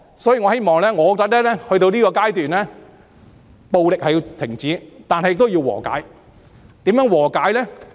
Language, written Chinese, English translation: Cantonese, 所以，到了這個階段，我覺得暴力必須停止，但亦需要和解，如何和解呢？, Therefore as things have developed to the present state I think violence must stop . Yet reconciliation is also necessary . How to achieve reconciliation?